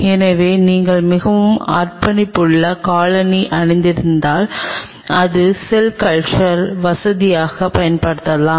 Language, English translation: Tamil, So, you could have very dedicated foot wears which could be used for the cell culture facility itself